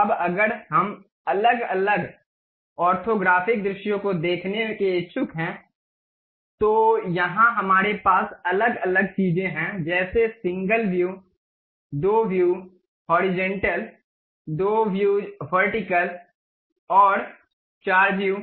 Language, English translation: Hindi, Now, if we are interested about see different orthographic orthographic views, here we have different things something like single view, two view horizontal, two view vertical, and four view